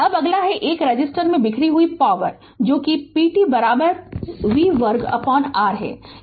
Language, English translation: Hindi, Now, next is the power dissipated in the 1 ohm resistor is that is p t is equal to v square by R